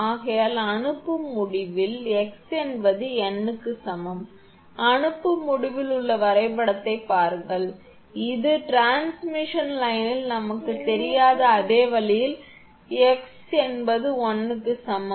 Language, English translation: Tamil, Therefore, at the sending end, x is equal to n, look at the diagram at the sending end, I mean this one the same way we do not know at the transmission line at the end x is equal to l